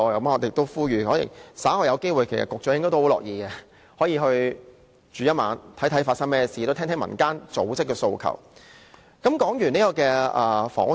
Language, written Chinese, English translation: Cantonese, 我們呼籲，稍後有機會的話，局長也試住一晚，看看真實的情況，聽聽民間組織的訴求，我想他應該很樂意。, We encourage the Secretary if he has the chance later to spend one night there to see for himself the actual conditions and listen to the aspirations of NGOs . I think he should be happy to do so